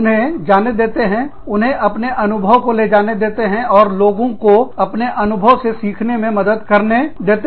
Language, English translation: Hindi, Let them go, let them take their experience, and let them help the others, learn from this experience